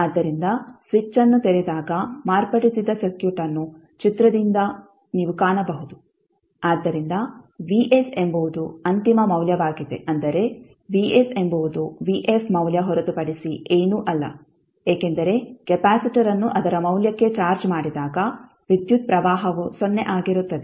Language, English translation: Kannada, Now Vf is the forced or steady state response so if you see from the figure which is the modified circuit when the switch is opened so the Vs the final value that is value of Vf is nothing but Vs because when the capacitor is charged to its value the current will be 0